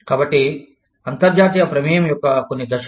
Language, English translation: Telugu, So, some stages of international involvement